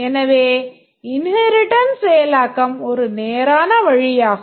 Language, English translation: Tamil, So, inheritance implementation is straightforward